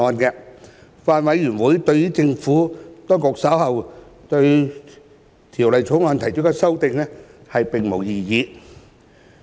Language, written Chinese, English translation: Cantonese, 法案委員會對政府當局稍後對《條例草案》提出的修正案並無異議。, The Bills Committee raises no objection to the amendments to be moved by the Administration to the Bill